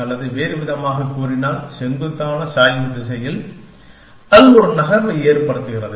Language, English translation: Tamil, Or in other words, in the direction of the steepest gradient, it makes one move